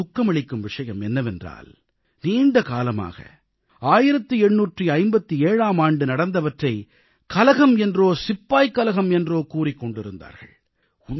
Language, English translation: Tamil, It is indeed sad that we kept on calling the events of 1857 only as a rebellion or a soldiers' mutiny for a very long time